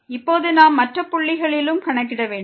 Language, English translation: Tamil, Now we have to also compute at other points